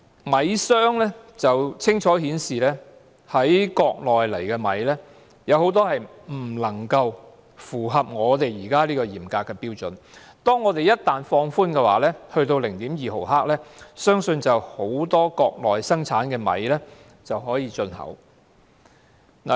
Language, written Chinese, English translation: Cantonese, 米商清楚顯示，國內的食米未能符合現時嚴格的標準，倘若本港放寬有關標準至 0.2 毫克，相信很多國內生產的食米便可以進口香港。, Rice merchants in Hong Kong have stated clearly that rice from the Mainland fails to meet the stringent standard currently adopted in Hong Kong and if the relevant standard is relaxed to 0.2 mg they believe many types of rice produced in the Mainland will be fit for import into Hong Kong